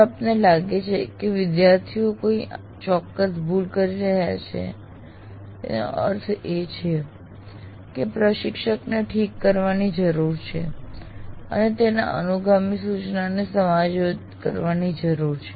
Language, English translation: Gujarati, That means if you find many students are committing a particular mistake, that means there is something that instructor needs to correct, have to adjust his subsequent instruction